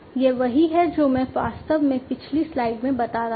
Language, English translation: Hindi, This is what I actually I was talking about in the previous slide